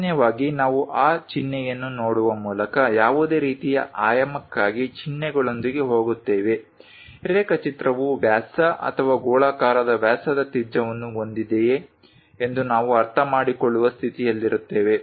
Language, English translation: Kannada, Usually we go with symbols for any kind of dimensioning by just looking at that symbol, we will be in a position to understand whether the drawing consist of diameter or spherical diameter radius and so, on